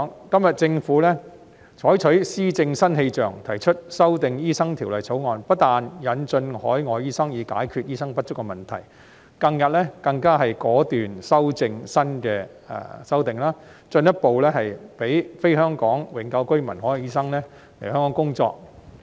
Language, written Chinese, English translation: Cantonese, 今天政府採取施政新氣象，提出修訂《醫生註冊條例》，不但引進海外醫生，以解決醫生不足的問題，近日更果斷提出新修訂，進一步讓非香港永久性居民的海外醫生來港工作。, Now the Government puts on a new atmosphere of governance and proposes to amend the Medical Registration Ordinance . It not only seeks to admit overseas doctors to solve the doctor shortage problem but has even resolutely proposed new amendments lately to further allow overseas doctors who are not Hong Kong permanent residents HKPRs to come and work here